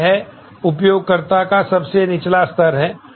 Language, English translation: Hindi, So, this is a lowest level of user